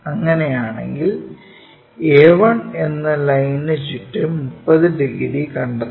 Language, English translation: Malayalam, If that is the case, locate 30 degrees around that join this line a 1